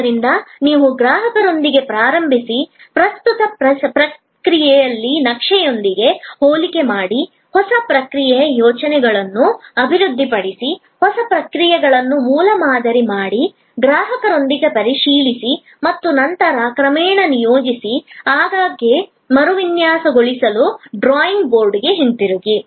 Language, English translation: Kannada, So, you start with the customer, compare with the current process map, develop new process ideas, prototype the new processes, check with the customer and then deploy gradually, often go back to the drawing board to redesign